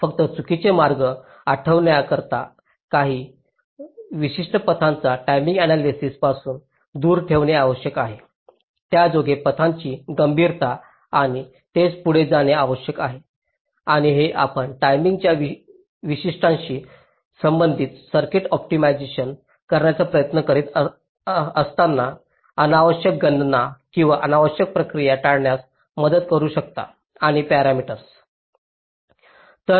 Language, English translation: Marathi, just to recall, false paths are important to eliminate certain paths from timing analysis, to identify the criticality of paths and so on and so forth, which can help in in avoiding unnecessary calculations and unnecessary processing when you are trying to optimize a circuit with respect to the timing characteristics and parameters